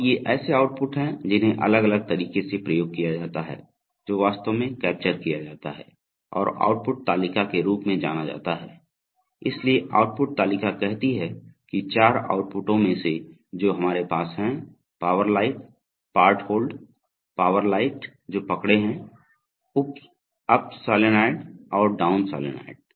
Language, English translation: Hindi, And these are the outputs which are exercised at different and that is actually also captured in what is known as an output table, so the output table says that among the four outputs that we have namely, power light, part hold, power lights which part hold up solenoid and down solenoid